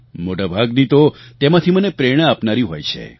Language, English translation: Gujarati, Most of these are inspiring to me